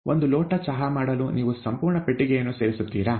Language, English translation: Kannada, Do you add an entire box, to make one cup of tea